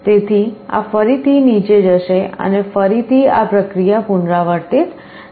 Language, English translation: Gujarati, So, this will again go down and again this process will repeat